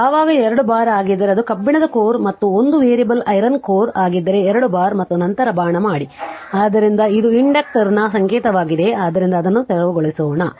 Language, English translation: Kannada, When you make 2 bar then it is iron core and if it is a variable iron core then 2 bar and then make arrow right, so this is the symbol of the inductor so let me clear it